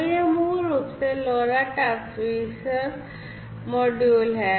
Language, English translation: Hindi, So, now this is basically how the LoRa transceiver module looks like